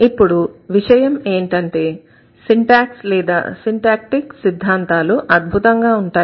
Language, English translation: Telugu, Now the concern for us is that syntax is wonderful or syntactic theories